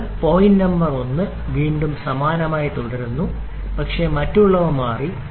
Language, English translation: Malayalam, So, point number 1 again remains the same but others have changed